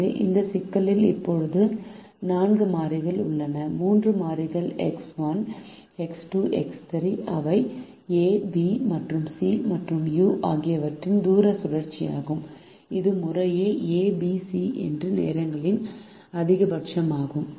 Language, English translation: Tamil, so this problem has now four variable, the three variables x, one, x, two x three, which are the distance cycle by a, b and c, and you, which is the maximum of the time taken by a, b and c respectively